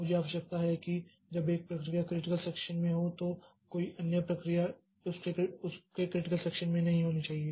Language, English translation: Hindi, The requirement is that when one process is in critical section, no other process should be in its critical section